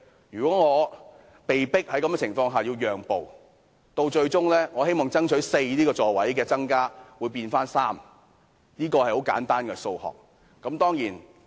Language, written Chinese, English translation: Cantonese, 如果我被迫在這種情況下讓步，最終我希望爭取增加的4個座位會變回3個，這是很簡單的數學。, If I am forced to yield to pressure under this situation at least three of the four seats which I have been striving for will be added . The calculation is very simple here